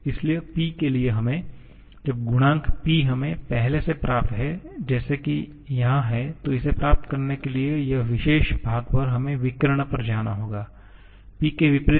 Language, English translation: Hindi, So, for P we have to, when the coefficient P we already have like here, this particular part to get this we have to go to the diagonal, the one opposite to P which is v